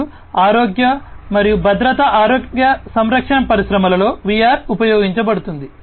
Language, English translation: Telugu, And in health and safety healthcare industries VR are used